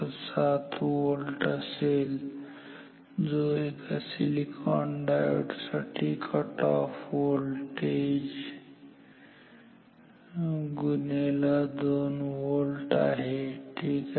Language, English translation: Marathi, 7 volt, which is the cutoff voltage for a silicon based diode multiplied by 2 volt ok